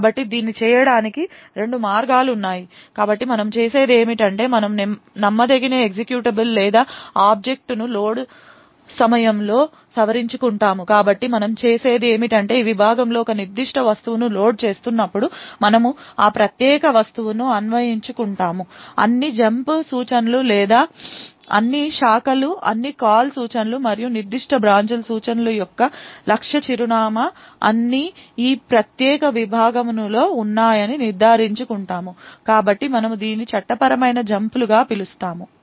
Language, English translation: Telugu, So there are a couple of ways to do this, so what we do is that we modify the untrusted executable or object at the load time so what we do is we while loading a particular object into this segment we parse that particular object look out for all the jump instructions or all the branches all the call instructions and ensure that the target address for those particular branch instructions all are within this particular segment, so therefore we call this as legal jumps